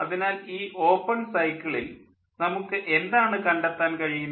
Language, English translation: Malayalam, so this open cycle, what we can find